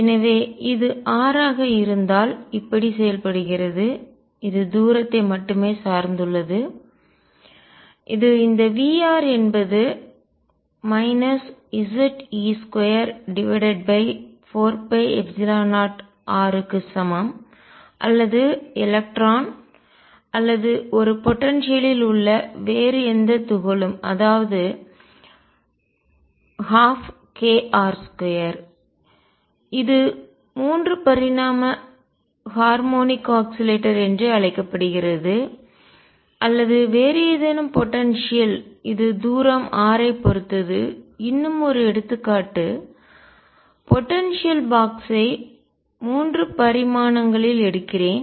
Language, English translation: Tamil, So, if this is r then it behaves like this depends only on the distance this is V r equals minus Ze square over 4 pi epsilon 0 r or electron or any other particle in a potential say one half k r square which is also known as 3 dimensional harmonic oscillator or any other potential that depends on distance r only let me take one more example potential box in 3 dimensions